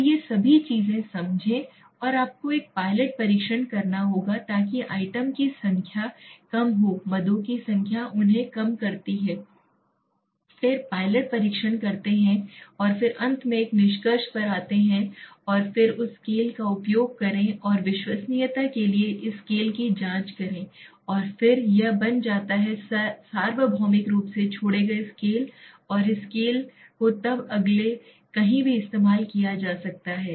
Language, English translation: Hindi, So these all things you need to understand and how you will have to do a pilot test reduce the number of items have a large number of items reduce them then test make a pilot test and then finally come to a conclusion and then use this scale validate and check this scale for reliability and then this is becomes a universally excepted scale and this scale can be then next used anywhere right